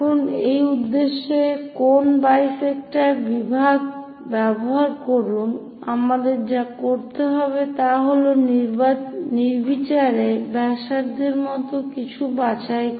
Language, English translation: Bengali, Now, use angle bisector division for that purpose what we have to do is pick anything like arbitrary radius